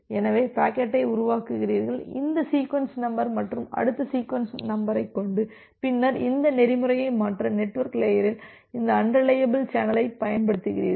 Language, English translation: Tamil, So, that way you are constructing the packet and with this sequence number next sequence number and then you are utilizing this unreliable channel at the network layer to transfer this protocol